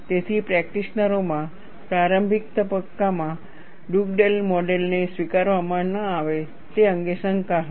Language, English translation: Gujarati, So, there was skepticism among the practitioners, not to accept Dugdale model, in the initial stages